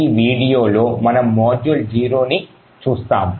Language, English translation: Telugu, In this video we will be looking at module 0, okay